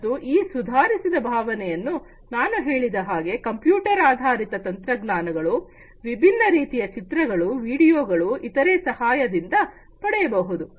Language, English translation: Kannada, And that improved feeling as I just said can be offered with the help of computer generated technologies, typically different types of images, videos, etcetera